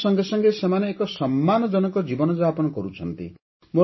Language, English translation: Odia, Along with income, they are also getting a life of dignity